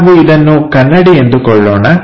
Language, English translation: Kannada, Let us call this is a mirror